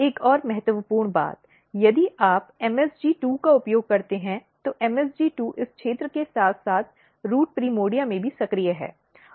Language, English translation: Hindi, Another important thing, if you use MSG2, MSG2 is active basically in the in this region as well as in the root primordia